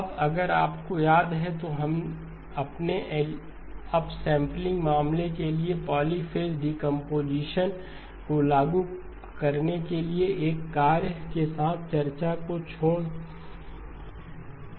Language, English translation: Hindi, Now if you remember, we left the discussion with a task to apply the polyphase decomposition for the up sampling case